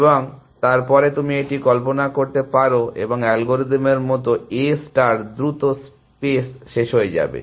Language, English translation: Bengali, And then you can imagine that and A star like algorithm will quickly run out of space essentially